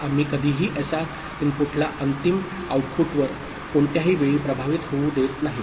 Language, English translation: Marathi, So, we are not allowing the SR input to affect the final output at any time at all the time